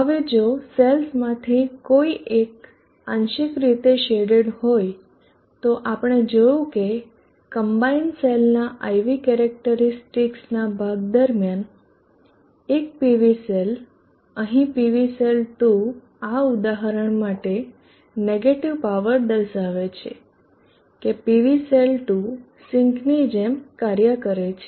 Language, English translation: Gujarati, Now if one of the cell is partially shaded we see that during a portion of the IV characteristic of the combine cell one of the PV cell, PV cell 2 here for this example shows negative power indicating that the PV cell 2 is acting like a sink